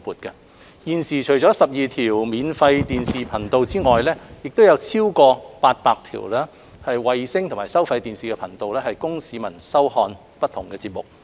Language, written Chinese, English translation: Cantonese, 現時，除了12條免費電視頻道外，亦有超過800條衞星及收費電視頻道供市民收看不同節目。, Members of the public have access to 12 free television TV channels and over 800 satellite and pay TV channels for watching various TV programmes